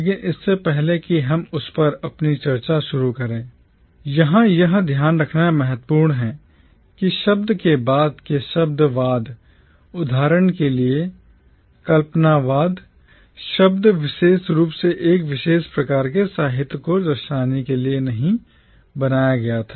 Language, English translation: Hindi, But before we begin our discussion on that, it is important to note here that the word postcolonialism, unlike, say for instance, the word “imagism”, was not specifically coined to signify a particular kind of literature